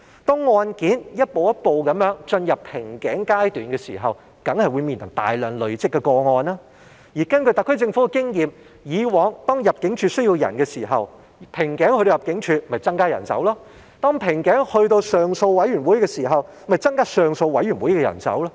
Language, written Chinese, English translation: Cantonese, 當案件一步一步的進入瓶頸階段的時候，當然會面臨大量累積的個案，而根據特區政府的經驗，以往當入境事務處需要人手，瓶頸在入境處的時候，入境處就會增加人手；當瓶頸在上訴委員會的時候，就會增加上訴委員會的人手。, There will certainly be a large backlog of cases when caseloads gradually enter the bottleneck stage . According to the SAR Governments past experience the Immigration Department would increase its manpower as necessary when facing a bottleneck in manpower; when the appeal board was facing a bottleneck in manpower it would increase its manpower